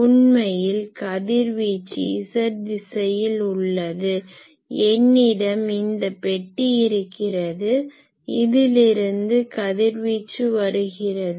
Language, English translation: Tamil, So, actually I will call this will be the z direction then so, I have this box then from here the radiation is coming